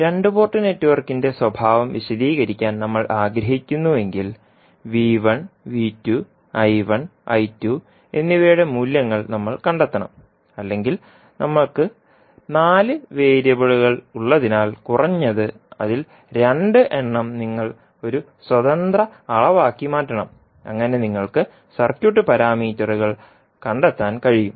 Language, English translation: Malayalam, If we want to characterize the two port network we have to find out the values of the V1, V2, I1, I2 or since we have four in variables at least out of that you have to make 2 as an independent quantity so that you can find out the circuit parameters